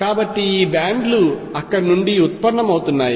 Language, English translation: Telugu, So, these bands arise from there